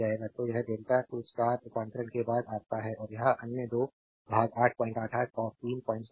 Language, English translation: Hindi, So, this is your after delta 2 star conversion, and this is the other 2 part 8